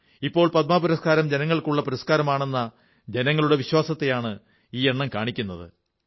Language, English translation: Malayalam, This statistic reveals the faith of every one of us and tells us that the Padma Awards have now become the Peoples' awards